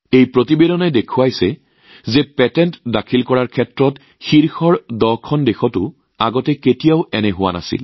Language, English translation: Assamese, This report shows that this has never happened earlier even in the top 10 countries that are at the forefront in filing patents